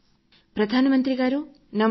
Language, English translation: Telugu, Prime Minister Namaskar